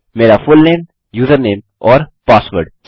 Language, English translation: Hindi, My fullname, username and password are fine